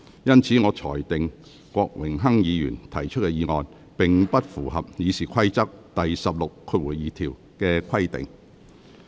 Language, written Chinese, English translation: Cantonese, 因此，我裁定郭榮鏗議員要求動議的議案，並不符合《議事規則》第162條的規定。, Hence I rule that the motion which Mr Dennis KWOK wished to move does not comply with the requirements set out in Rule 162 of the Rules of Procedure